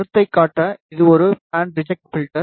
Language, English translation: Tamil, Just to show the concept, this is a band reject filter